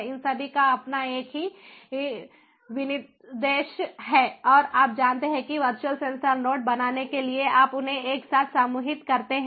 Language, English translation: Hindi, they all have their own same specification and you know, you group them together in order to form the virtual sensor node